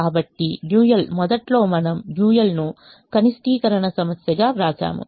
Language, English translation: Telugu, initially we will write the dual as a minimization problem